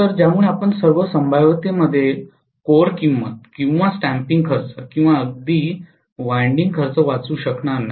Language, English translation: Marathi, So because of which you may not be able to save on the core cost or the stamping cost or even the winding cost in all probability